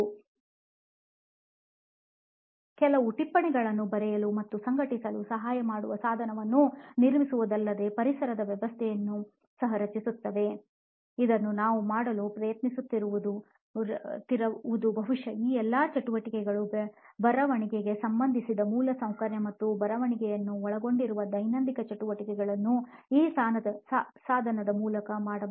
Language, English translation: Kannada, So what we are trying to do is not just build a device which helps writing and organization of notes but also creates an ecosystem, probably an infrastructure where all these activities associated with writing and also daily activities which include writing can be done through this device